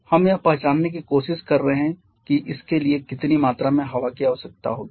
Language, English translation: Hindi, We are trying to identify how many moles of air will be required for this